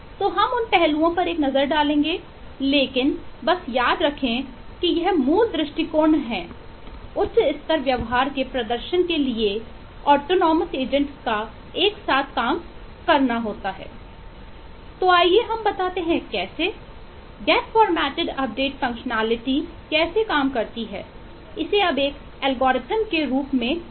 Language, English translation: Hindi, So we will take a look into those aspects, but just remember, this is the basic view, that is, a number of autonomous agents collaborate, work together to perform some high level behavior